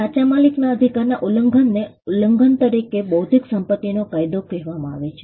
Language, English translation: Gujarati, A violation of a right of right owner is what is called an intellectual property law as infringement